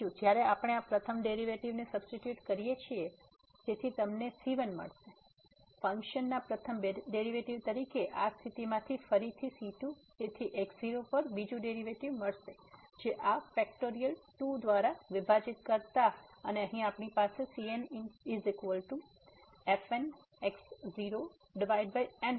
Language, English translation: Gujarati, The second when we substitute in this first derivative so you will get , as the first derivative of the function the again from this condition so we will get the second derivative at divided by this factorial; sorry to factorial here and then the will be the n th derivative at divided by factorial